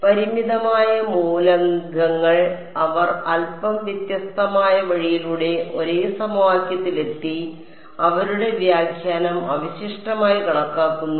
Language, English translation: Malayalam, The finite element people they arrived at the same equation via slightly different route and their interpretation is weighted residual